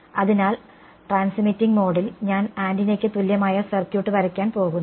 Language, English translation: Malayalam, So, in the transmitting mode I am going to draw the circuit equivalent of antenna right